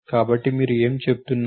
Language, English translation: Telugu, So, what are you saying